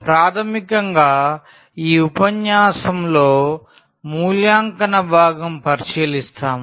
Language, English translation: Telugu, So, basically the evaluation part we will look into in this lecture